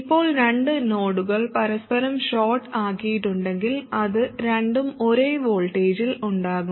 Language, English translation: Malayalam, Now if two nodes are shorted to each other, obviously they will be at the same voltage